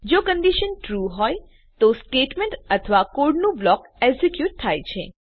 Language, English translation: Gujarati, If the condition is True, the statement or block of code is executed.